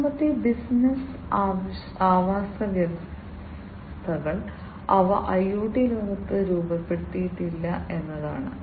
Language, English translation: Malayalam, The third one is that the business ecosystems, they are not structured in the IoT world